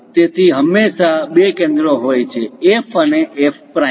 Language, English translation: Gujarati, So, it has always two foci centres; F and F prime